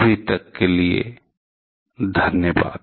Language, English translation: Hindi, Thank you for now